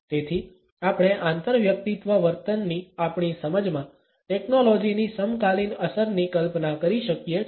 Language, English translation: Gujarati, So, we can imagine the contemporary impact of technology in our understanding of interpersonal behaviour